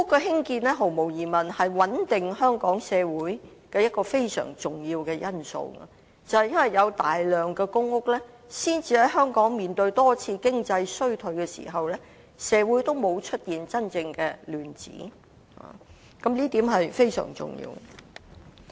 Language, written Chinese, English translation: Cantonese, 興建公屋毫無疑問是穩定香港社會的一個非常重要的因素，正正是因為有大量公屋，才能讓香港在面對多次經濟衰退時，社會也沒有出現真正的亂子，這一點非常重要。, The production of PRH units is no doubt a vitally important factor contributing to the stability of our society in Hong Kong and it is precisely because of a considerable proportion of public housing that there have not been real troubles in society during a number of economic recessions weathered by Hong Kong before